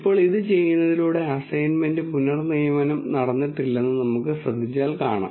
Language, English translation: Malayalam, Now, if we notice that by doing this there was no assignment reassignment that happened